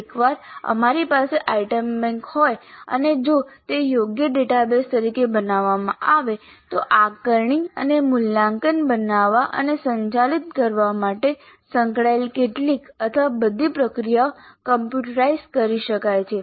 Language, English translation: Gujarati, And once we have an item bank and if it is created as a proper database, some are all of the processes associated with creating and administering assessment and evaluation can be computerized